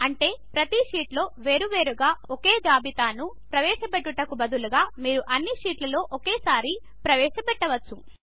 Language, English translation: Telugu, This means, instead of entering the same list on each sheet individually, you can enter it in all the sheets at once